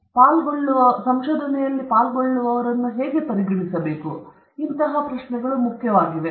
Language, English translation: Kannada, And how to treat the participants in research these questions are important